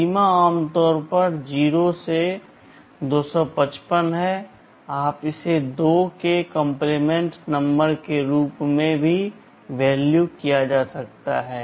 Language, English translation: Hindi, The range is typically 0 to 255, you can also regard it as a 2’s complement number you can give a negative value also